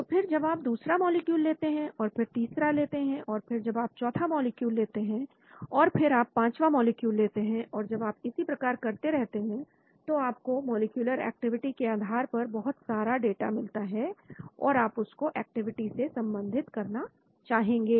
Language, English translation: Hindi, So then you take the second molecule, then you take the third molecule, then you take the fourth molecule, then you take the fifth molecule and so when you keep doing that you get lots of data with respect to molecular activity and you want to correlate with the activity